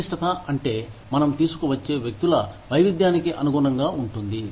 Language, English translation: Telugu, Complexity is to, accommodate the diversity of people, who we bring in